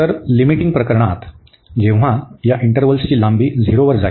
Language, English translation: Marathi, So, in the limiting case, when these intervals the length of these intervals are going to 0